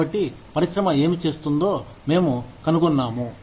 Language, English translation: Telugu, So, we find out, what is being done, by the industry